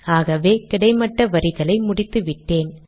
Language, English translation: Tamil, So now I have completed the horizontal lines